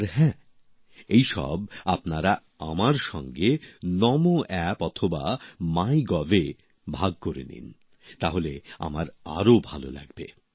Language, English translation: Bengali, And yes, I would like it if you share all this with me on Namo App or MyGov